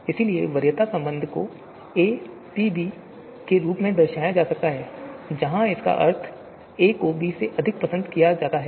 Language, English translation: Hindi, So preference relation can be denoted as a capital P b, so where it you know means that a is preferred over b